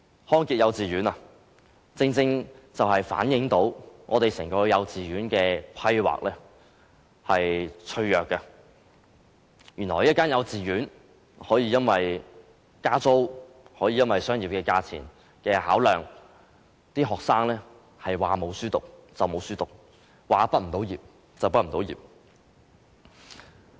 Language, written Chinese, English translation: Cantonese, 康傑幼稚園正正反映出整個幼稚園規劃的脆弱，原來一間幼稚園可以因為加租，可以因為商業價錢的考量，令學生隨時失學，亦隨時無法畢業。, The case of Good Health Kindergarten clearly shows the weakness of the overall planning of our kindergarten education . It is surprising that a kindergarten will actually expose its students to the risks of discontinuing and failing to complete their studies because of rental increase and its business consideration of costs